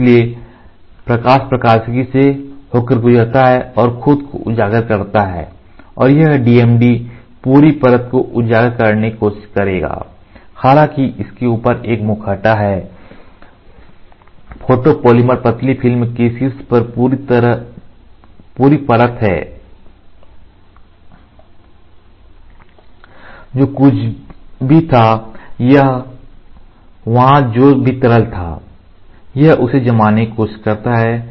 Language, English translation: Hindi, So, the laser light passes through the optics get itself exposed and this DMD will try to expose the complete layer as though there is a mask on top of it complete layer on top of the photopolymer thin film, whatever was there or the liquid whichever is there and it tries to cure it